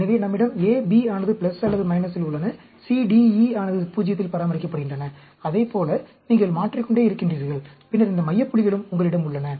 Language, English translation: Tamil, So, we have A, B plus or minus, C, D, E are maintained at 0; like that, you keep on varying, and then, you also have these center points